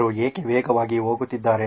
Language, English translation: Kannada, Why is she going fast